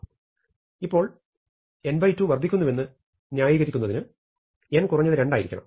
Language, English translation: Malayalam, But now, in order to justify this, to justify that n by 2 is increasing, n must be at least 2